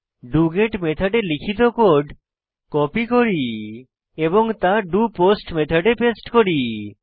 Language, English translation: Bengali, Copy the code we had written for doGet Method and paste in the doPost Method